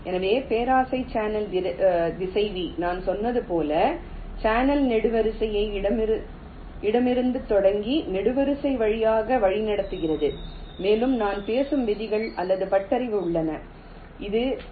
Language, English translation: Tamil, so the greedy channel router, as i have said, it routes the channel column by column, starting from the left, and there are ah set of rules or heuristics i shall be talking about